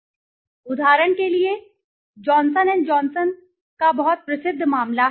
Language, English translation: Hindi, See I will give an example, the very famous case of Johnson and Johnson